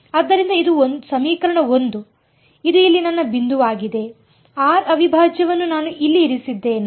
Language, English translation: Kannada, So, this is equation 1 this is my and my point here r prime I have put over here